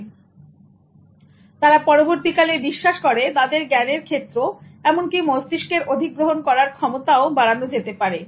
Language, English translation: Bengali, So they also subsequently believe that their realm of knowledge in terms of brain accusation itself can be expanded